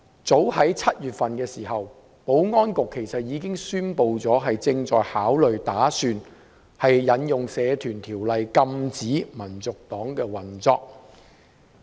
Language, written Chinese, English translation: Cantonese, 早於7月，保安局其實已經宣布，正在考慮引用《社團條例》禁止香港民族黨運作。, As early as in July the Security Bureau announced that it was considering prohibiting the operation of the Hong Kong National Party HKNP under the Societies Ordinance